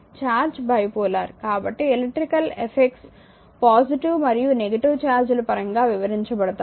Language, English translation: Telugu, So, charge is bipolar so, it means electrical effects are describe in terms of positive and your negative charges the first thing